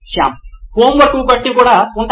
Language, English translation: Telugu, Shyam: As there will be like homeworks as well